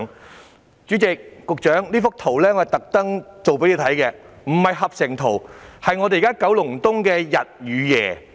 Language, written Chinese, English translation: Cantonese, 代理主席、局長，我特意製作這幅圖供局長看，這並非合成圖，是現時九龍東的日與夜。, Deputy President Secretary I have specifically prepared this image for the Secretary . This is not a composite image but a day and night view of Kowloon East